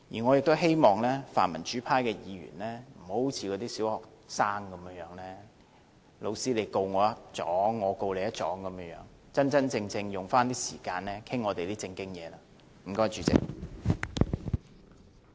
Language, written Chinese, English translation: Cantonese, 我希望泛民主派議員，不要好像小學生般："老師，他告我一狀，我告他一狀"，要真真正正把時間用在討論我們的正經事情上。, I hope that the pro - democratic members would stop acting like a primary student He accuses me and so I accuse him they should really put the time on discussing our formal issues